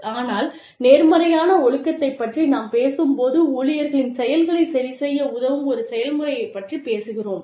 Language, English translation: Tamil, But, when we talk about positive discipline, we are talking about, a process in which, employees are helped, to correct their actions